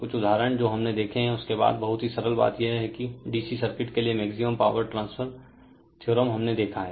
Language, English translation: Hindi, So, some typical examples we have seen after that very simple thing it is that is the maximum power transfer theorem for D C circuit we have seen